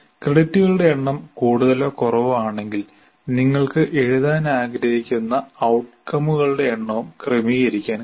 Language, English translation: Malayalam, And if the number of credits are more or less, you can also adjust the number of outcomes that you want to write